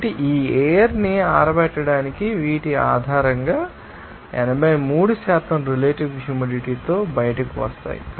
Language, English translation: Telugu, So, based on these up to dry of this air will be coming out as you know with 83% of relative humidity